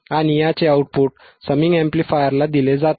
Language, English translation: Marathi, And the output of this is fed to the summing amplifier